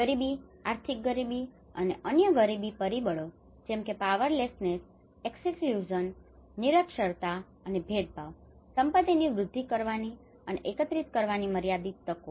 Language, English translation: Gujarati, Poverty, economic poverty and other poverty factors such as powerlessness, exclusion, illiteracy and discrimination, limited opportunities to access and mobilise assets